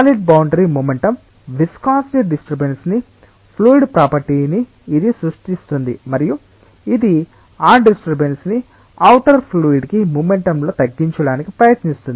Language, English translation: Telugu, The solid boundary creates a disturbance in momentum viscosity is a fluid property that tries to defuse that disturbance in momentum to the outer fluid